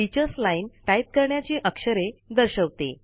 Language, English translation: Marathi, The Teachers Line displays the characters that have to be typed